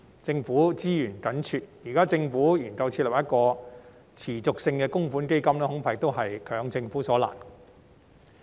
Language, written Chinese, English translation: Cantonese, 在資源緊絀下，現時要政府研究設立一個持續性的供款基金，恐怕亦是強其所難。, Given the resource constraints it would be difficult for the Government to explore the setting up of a sustainable contributory fund